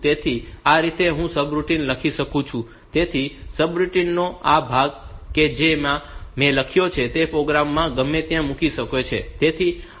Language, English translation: Gujarati, So, this way I can write down the subroutines; so this part of the subroutine that I have written